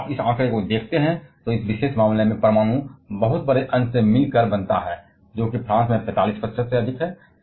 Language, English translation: Hindi, If you see this figure, nuclear consist of very large fraction in this particular case; which is well above 45 percent in France